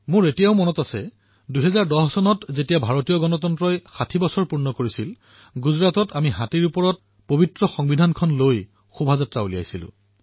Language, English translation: Assamese, I still remember that in 2010 when 60 years of the adoption of the Constitution were being celebrated, we had taken out a procession by placing our Constitution atop an elephant